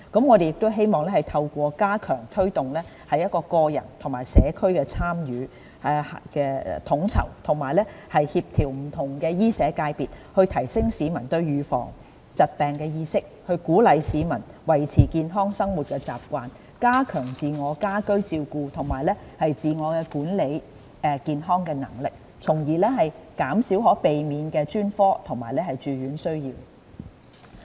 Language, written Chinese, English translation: Cantonese, 我們亦希望透過加強推動個人和社區的參與、統籌和協調不同醫社界別，提升市民對預防疾病的意識，鼓勵市民維持健康的生活習慣，加強自我和家居照顧及自我管理健康的能力，從而減少可避免的專科及住院需要。, We hope that by stepping up efforts to promote individual and community involvement and enhance coordination among various medical and social sectors we can enhance the publics awareness of disease prevention encourage them to maintain a healthy lifestyle and enhance their capability in self - care and home care as well as their ability in self - management of health thereby reducing the demand for specialist services and hospitalization which are largely avoidable